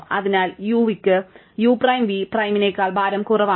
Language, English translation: Malayalam, So, therefore, u v has weight strictly less than u prime v prime